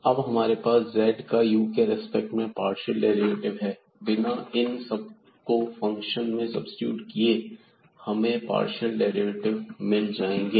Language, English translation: Hindi, So, we will have here the partial derivative of z with respect to u without substituting all these into this function and then getting this partial derivatives